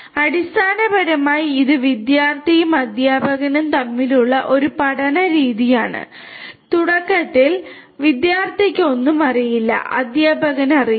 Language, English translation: Malayalam, So, basically it is a learning kind of mechanism between the student and the teacher initially the student does not know anything, teacher knows